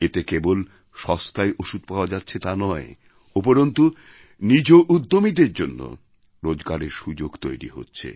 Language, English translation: Bengali, This has led to not only availability of cheaper medicines, but also new employment opportunities for individual entrepreneurs